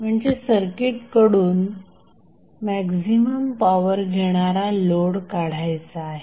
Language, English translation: Marathi, So, the load which will absorb maximum power from the circuit